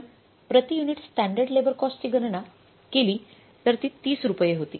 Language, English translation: Marathi, We calculated standard labor cost per unit so that was 30 rupees